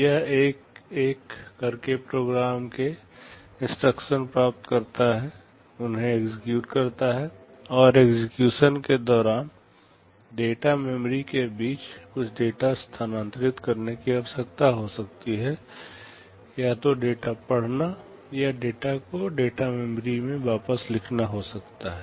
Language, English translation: Hindi, It fetches instructions from the program memory one by one, executes them, and during execution it may require to transfer some data between the data memory, either reading a data or writing the data back into the data memory